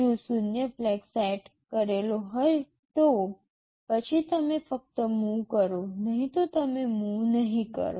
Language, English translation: Gujarati, If the zero flag is set, then only you do the move, otherwise you do not do the move